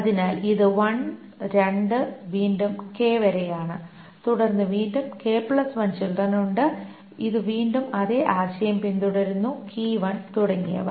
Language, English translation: Malayalam, So this is 1, 2, again up to K and then there are this again, K plus 1 children and this again follows the same idea, key 1, etc